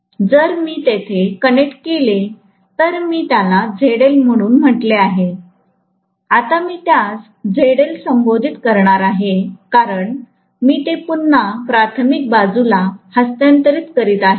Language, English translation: Marathi, Now, finally I am going to have a load, a load if I connect it directly, I would have called that as ZL, now I am going to call that as ZL dash because I am transferring it over to the primary side again, right